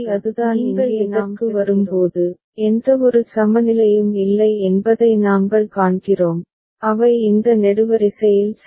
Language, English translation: Tamil, And finally, when you come to this, then we see that there is no equivalence that is they are along this column ok